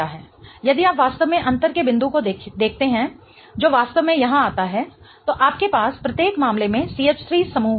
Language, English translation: Hindi, If you really see the point of difference that really comes here, you have a CH3 group in each case